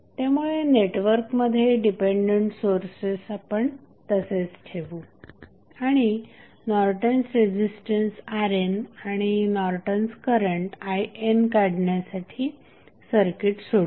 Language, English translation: Marathi, So, we will keep the dependent sources in the network and we will solve the circuits to find out the value of I N that is Norton's current and R N that is Norton's resistance